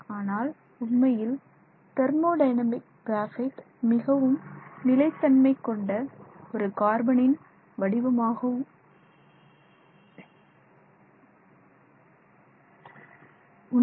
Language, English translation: Tamil, So, incidentally the thermodynamically graphite is considered the most stable form